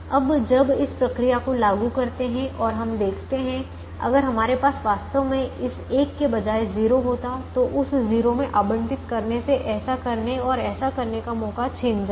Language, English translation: Hindi, now, when we apply this procedure and we see if we actually had a zero here instead of this one, allocating into that zero is going to take away the chance of doing this and doing this